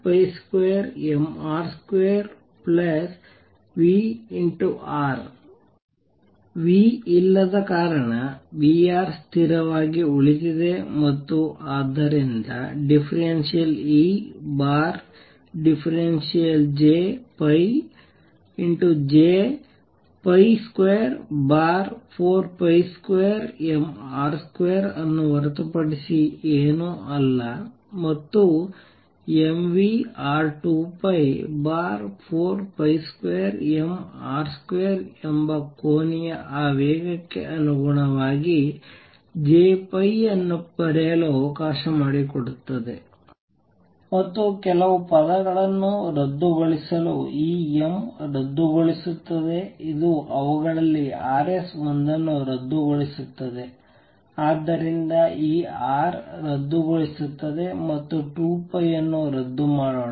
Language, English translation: Kannada, Since there is no V, so V R remains fixed and therefore, d E over d J phi is nothing but J phi over 4 pi square m R square and lets write J phi in terms of the angular momentum which is m v R times 2 pi divided by 4 pi square m R square, and lets cancel a few terms this m cancels this cancel one of the Rs, so this R cancels and let us cancel 2 pi